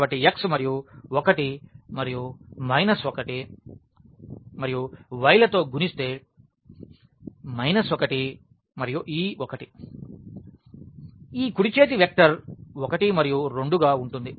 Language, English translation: Telugu, So, x and multiplied by 1 and minus 1 and y will be multiplied by minus 1 and this 1 the right hand side vector is 1 and 2